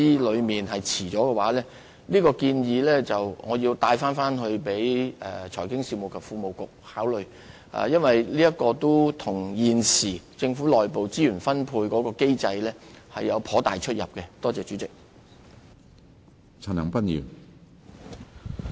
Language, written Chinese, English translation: Cantonese, 我會把這項建議轉達財經事務及庫務局考慮，因為現時政府的內部資源分配機制不太適用這項建議。, I would refer the proposal to the Financial Services and the Treasury Bureau for consideration because this proposal is not really applicable to the present internal resource allocation mechanism of the Government